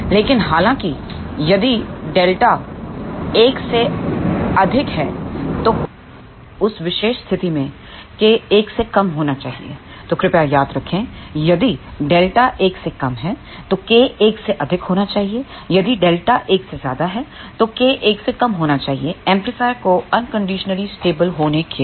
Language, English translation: Hindi, So, please remember, if delta is less than 1, then K should be greater than 1, if delta is greater than 1, then K should be less than 1 for the amplifier to be unconditionally stable